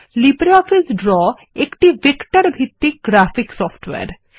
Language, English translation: Bengali, LibreOffice Draw is a vector based graphics software